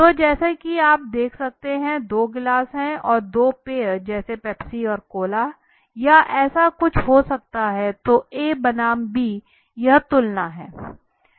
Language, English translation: Hindi, So as you can see two glasses are there and two drinks may be Pepsi and Cola or something like this so A versus B so this is the comparison okay